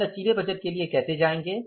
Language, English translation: Hindi, What is the flexible budget